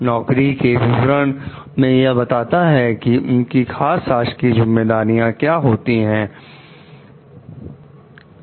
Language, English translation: Hindi, The job description in the office specifies official responsibilities